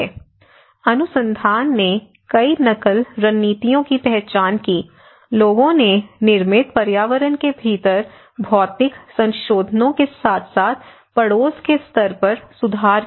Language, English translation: Hindi, (FL from 28:53 to 29:54); The research identified several coping strategies, people made physical modifications within built environment as well as making improvements at the neighbourhood level